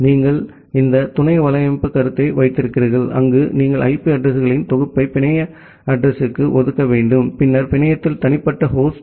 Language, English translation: Tamil, Then you have this sub netting concept, where you need to allocate a set of IP addresses to the network address and then, individual host in the network